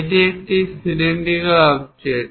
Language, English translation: Bengali, So, it is a cylindrical one